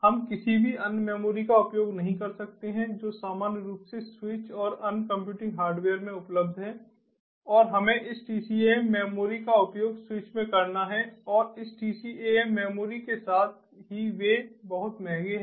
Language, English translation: Hindi, we cannot use any other memories that is at normally available in the switches and other computing hardware and we have to use this tcam memory at the switches and this tcam memory